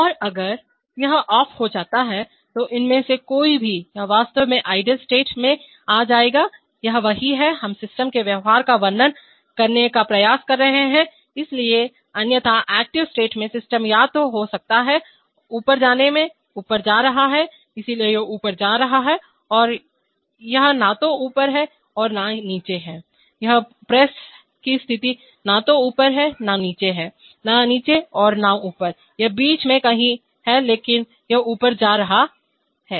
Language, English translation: Hindi, And if it is off then from these, any one of these it will actually come to the idle state, this is what we are, we are trying to describe the behavior of the system, so otherwise among the active states the system could be either in move up, moving up, so it is moving up, it is neither up nor down, it is, its position of the press is neither up nor down, neither down nor up, it is somewhere in the middle but it is moving up